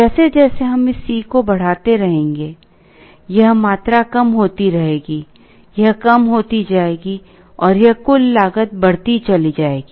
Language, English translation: Hindi, As we keep on increasing this C s, this quantity will keep coming down, this will come down, and this total cost will go up